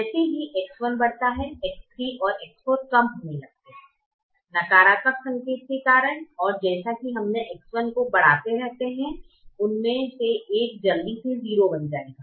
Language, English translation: Hindi, as x one increases, x three and x four start reducing because of the negative sign, and as we keep increasing x one, one of them will quickly first become zero